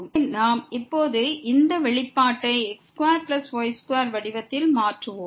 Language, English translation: Tamil, So, we will convert now this expression in the form of the square plus square